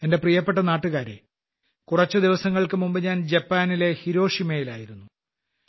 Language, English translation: Malayalam, My dear countrymen, just a few days ago I was in Hiroshima, Japan